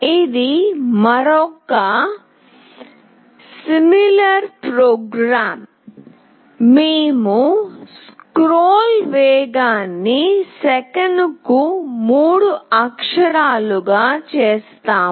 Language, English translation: Telugu, This is another program similar program, just that we have made the scroll speed to 3 characters per second